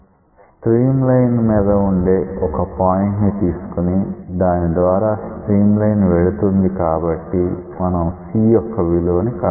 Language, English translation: Telugu, So, when you are given that the stream line passes through that point from that you can find out c